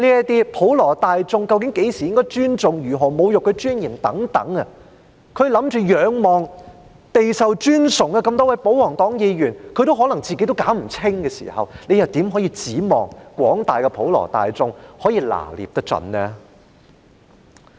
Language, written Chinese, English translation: Cantonese, 對於普羅大眾究竟何時應該尊重，如何會構成侮辱其尊嚴等問題，備受尊崇的多位保皇黨議員也可能搞不清楚的時候，你們又怎能指望廣大的普羅大眾可以拿捏得準呢？, On such questions as when the general public should be respectful and what would amount to insulting or undermining the dignity when even the many respectable royalist Members may not clearly know the answers how could we expect the general public to be able to grasp the answers accurately?